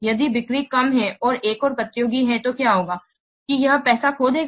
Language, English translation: Hindi, If the sales are low and another competitor is there, then what will happen